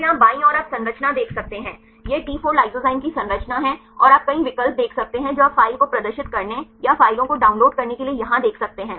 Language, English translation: Hindi, So, here left side you can see the structure this is structure of the T4 lysozyme and you can see several options you can see here to display the file or to download the files